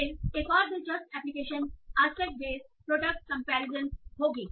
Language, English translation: Hindi, Then another interesting application would be aspect based product comparison